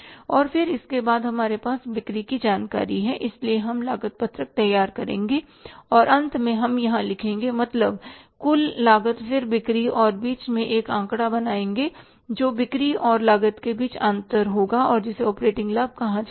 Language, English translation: Hindi, So, we will prepare the cost sheet and at the end we will write here is total cost then is the sales and in between we will create a figure that will be a difference between the sales and the cost and that will be called as the operating profit